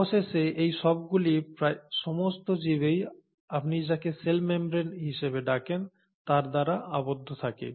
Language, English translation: Bengali, All this is finally enclosed in almost all the organisms by what you call as the cell membrane